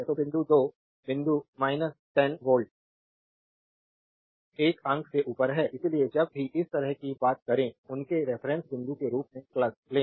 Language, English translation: Hindi, So, point 2 is minus 10 volt above point 1; so, whenever you talk like this, you take plus as their reference point right